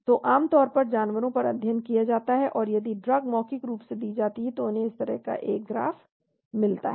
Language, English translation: Hindi, So generally animal studies performed, and from if the drug is given orally they get a graph like this